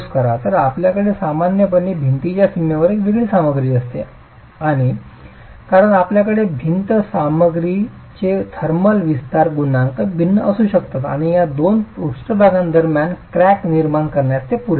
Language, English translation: Marathi, And because you have different material, thermal expansion coefficients will be different and that is sufficient to cause a cracking between these two surfaces